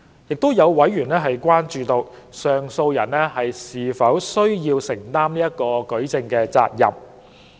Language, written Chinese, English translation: Cantonese, 亦有委員關注到，上訴人是否需要承擔舉證責任。, A member has also expressed concern about whether the appellant is to bear the burden of proof